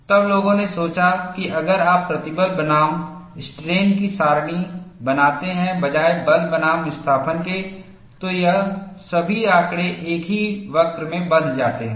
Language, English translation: Hindi, Then people thought, instead of plotting force versus displacement, if you plot stress versus strain, all of this data bundled in a single curve